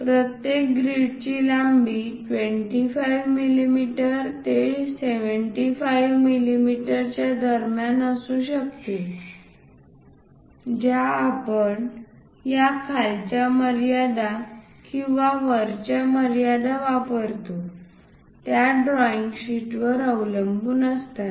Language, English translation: Marathi, The length of each grids can be between 25 mm and 75 mm depends on the drawing sheet we use these lower limits or the upper limits